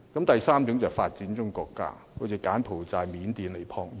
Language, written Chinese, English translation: Cantonese, 第三個層次是發展中國家，例如柬埔寨、緬甸、尼泊爾。, And the third level is developing countries such as Cambodia Myanmar and Nepal